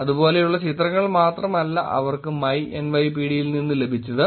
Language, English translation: Malayalam, It is not only like that they got pictures like this which is from my NYPD